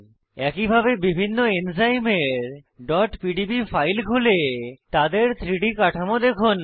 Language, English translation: Bengali, Similarly try to open .pdb files of different enzymes and view their 3D structures